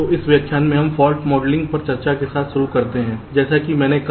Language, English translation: Hindi, so in this lecture we start with a discussion on fault modelling, as i said